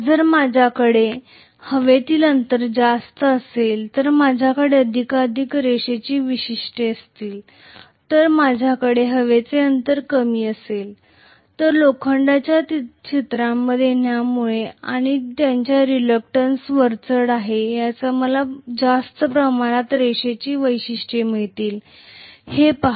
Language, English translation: Marathi, If I have a larger air gap I am going to have more and more linear characteristics, if I have smaller air gap I am going to have more and more non linear characteristic because of the iron coming into picture and whose reluctance is dominating I have to look at it